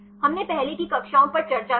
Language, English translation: Hindi, We discussed earlier classes